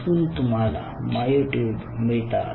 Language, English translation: Marathi, so thats where you are getting myotubes